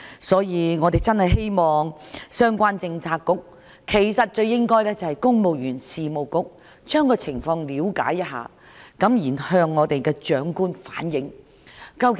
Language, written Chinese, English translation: Cantonese, 所以，我們真的希望相關政策局——應該是公務員事務局——了解一下情況，然後向行政長官反映。, Therefore we really hope the relevant Policy Bureau―I think the Civil Service Bureau―should look into the matter and report the situation to the Chief Executive